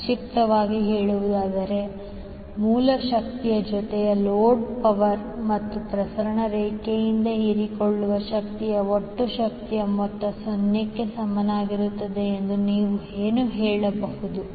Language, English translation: Kannada, So in a nutshell, what you can say that sum of the total power that is source power plus load power plus power absorbed by the transmission line will be equal to 0